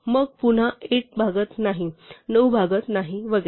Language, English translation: Marathi, Then again 8 does not divide, nine does not divide and so on